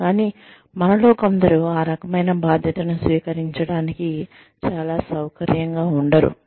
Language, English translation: Telugu, But, some of us, are not very comfortable, taking on that kind of responsibility